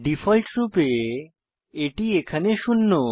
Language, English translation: Bengali, By default, it is zero